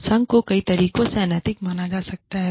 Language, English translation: Hindi, And, the association can be perceived as unethical, in many ways